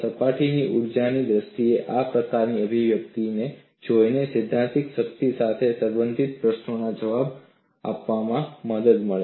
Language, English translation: Gujarati, That was this kind of looking at the expression in terms of surface energy, helped to answer the questions related to theoretical strength